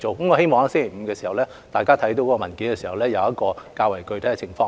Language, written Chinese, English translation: Cantonese, 我希望議員在星期五看到文件，會知悉較為具體的情況。, I hope Members can get a more concrete picture when they read the paper on Friday